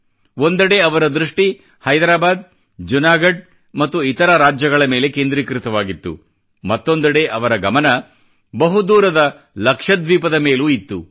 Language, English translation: Kannada, On the one hand, he concentrated on Hyderabad, Junagarh and other States; on the other, he was watching far flung Lakshadweep intently